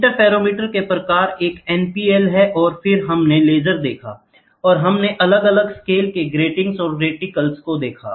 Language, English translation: Hindi, Types of interferometer one is NPL and then we saw laser, and we saw different scales gratings and reticles